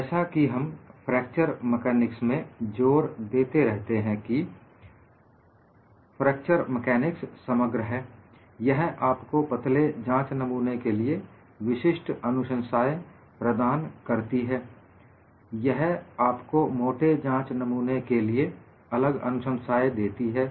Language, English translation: Hindi, We have been emphasizing in fracture mechanics; fracture mechanics is holistic; it gives you certain recommendation for thin specimens; it gives you another set of recommendations for thick specimens